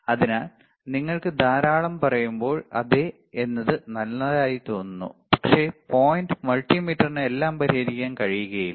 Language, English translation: Malayalam, So, when you say lot of time yes it looks good, but the point is multimeter cannot solve everything